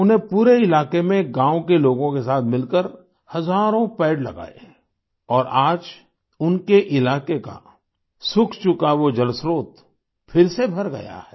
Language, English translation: Hindi, Along with fellow villagers, he planted thousands of trees over the entire area…and today, the dried up water source at the place is filled to the brim once again